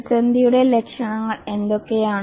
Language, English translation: Malayalam, What are the symptoms of the crisis